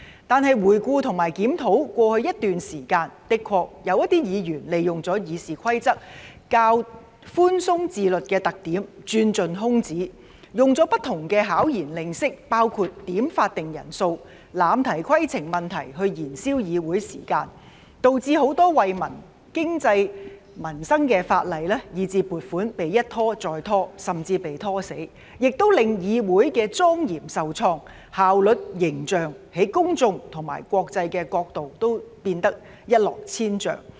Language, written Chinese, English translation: Cantonese, 但是，回顧和檢討過去一段時間，的確有議員利用了《議事規則》較寬鬆自律的特點，鑽盡空子，使用不同的巧言令色——包括點算法定人數、濫提規程問題——來燃燒議會時間，導致很多惠民、經濟、民生的法例以至撥款被一拖再拖，甚至被"拖死"，也令議會的莊嚴受創，效率、形象從公眾和國際的角度都變得一落千丈。, They exploited every loophole and employed different devious tactics―including requesting headcounts and abusing points of order―to waste the Councils time . As a result many legislation and funding applications which were beneficial to the public the economy and peoples livelihood were delayed time and again or even dragged to death . The solemnity of the Council was also undermined with both its efficiency and image reduced to a shambles from the public and international perspectives